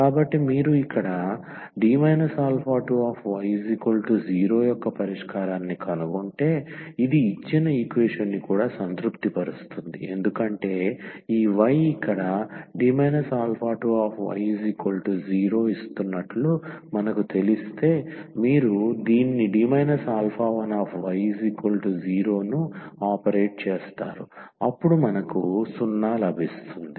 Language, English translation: Telugu, So, if you set if you find solution here of this D minus alpha 2 y is equal to 0, then this will also satisfy the given equation because once we know that this y here is giving D minus alpha 2 y is equal to 0, so if you operate this D minus alpha 1 on 0 so we will get 0